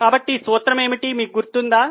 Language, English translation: Telugu, Now what is the formula do you remember